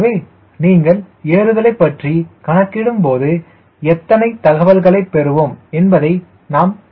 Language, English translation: Tamil, so you will see that when you analyzing climb how many information you get